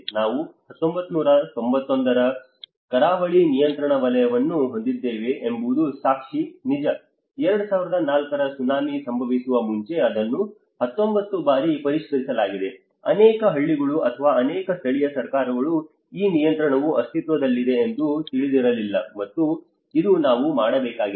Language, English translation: Kannada, It is true the evidence is we have the coastal regulation zone from 1991, it has been revised 19 times until the wakeup of the 2004 tsunami, many villages or the many local governments did not even realise that this regulation do exist and this is what we need to do